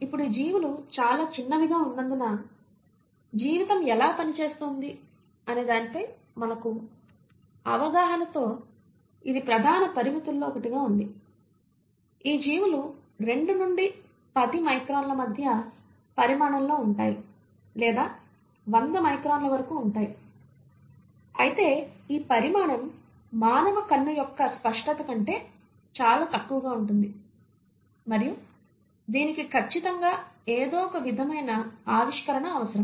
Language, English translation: Telugu, Now this has been one of the major limitations in our understanding of how life works because a lot of these organisms are much smaller; they are about the size range of anywhere between 2 to 10 microns or they can be as big as 100 microns but yet this size is way below the resolution of human eye and this surely required some sort of invention and that came in mainly through the invention of microscopes